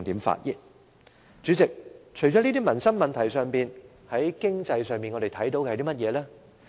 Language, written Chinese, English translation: Cantonese, 主席，除了以上的民生問題外，我們在經濟方面又看到甚麼政策呢？, President the above mentioned livelihood issues aside what economic policies can we see?